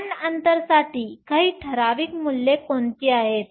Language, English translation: Marathi, What are some typical values for band gap